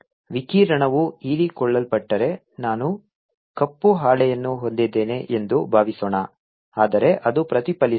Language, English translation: Kannada, if the radiation got absorbs, suppose i had a black sheet, but it is getting reflected